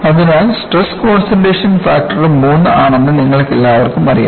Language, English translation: Malayalam, So, you all know stress concentration factor is 3